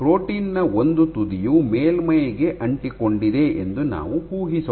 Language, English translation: Kannada, Let us assume if one end of the protein remains attached to the surface